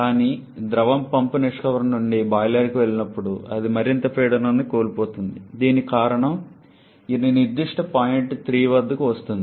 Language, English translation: Telugu, But when the fluid passes from pump exit to the boiler that is further pressure loss, because of which it comes down to this particular point 3